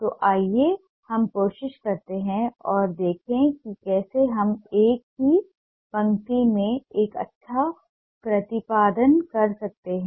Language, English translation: Hindi, so let's try and see how we can make a good rendering in a single line